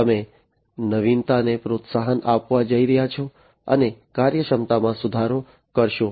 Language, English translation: Gujarati, You are going to foster innovation, and improve upon the efficiency